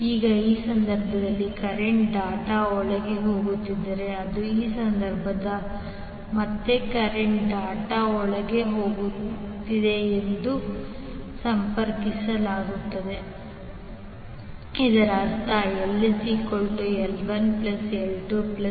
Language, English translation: Kannada, Now in this case if the current is going inside the dot and in this case again the current is going inside the dot the total inductance will be the adding connection